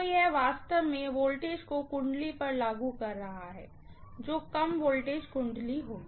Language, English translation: Hindi, So, this is actually applying the voltage to the winding which will be the low voltage winding